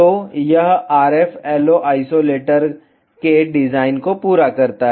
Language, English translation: Hindi, So, this completes the design of RFLO isolator